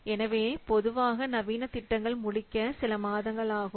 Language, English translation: Tamil, So normally the modern projects typically takes a few months to complete